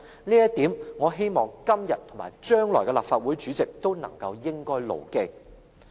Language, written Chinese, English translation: Cantonese, 這一點，我希望今天和將來的立法會主席都應該牢記。, I hope the incumbent and future Presidents will bear this principle in mind